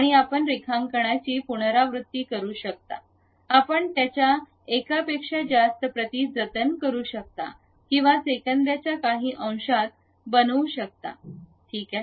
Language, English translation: Marathi, And, you can repeat the drawing you can save it multiple copies you can make it within fraction of seconds and so on, ok